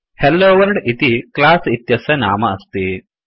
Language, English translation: Sanskrit, HelloWorld is the name of the class